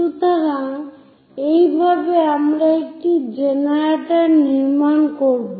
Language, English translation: Bengali, So, this is the way we will construct one of the generator